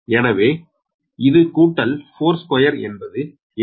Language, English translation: Tamil, this is given four, so it is plus four